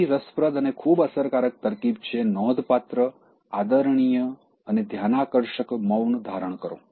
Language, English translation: Gujarati, Another, interesting technique and a very effective one is, practice remarkable, respectful, and noticeable silence